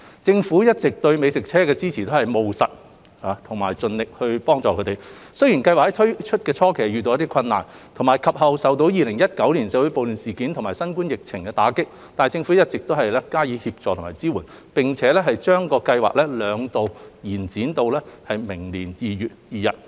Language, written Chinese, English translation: Cantonese, 政府一直以來對美食車的支持都是務實，並盡力予以支援，雖然計劃於推出的初期遇到困難，及後亦受到2019年社會暴亂事件及新冠疫情的打擊，但政府一直加以協助和支援，並將計劃兩度延展至明年2月2日。, The Government has all along been pragmatic and supportive to food trucks and has been offering its support as far as possible . Though the Scheme encountered difficulties when it was first launched and was affected by the riots in 2019 and the epidemic afterwards the Government has been providing continuous support and assistance . Hence the Government has extended the Scheme twice until 2 February 2022